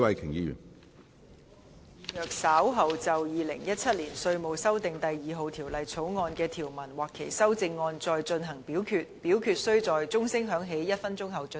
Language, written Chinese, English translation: Cantonese, 主席，我動議若稍後就《2017年稅務條例草案》所提出的議案或修正案再進行點名表決，表決須在鐘聲響起1分鐘後進行。, Chairman I move that in the event of further divisions being claimed in respect of the Inland Revenue Amendment No . 2 Bill 2017 or any amendments thereto the committee do proceed to each of such divisions immediately after the division bell has been rung for one minute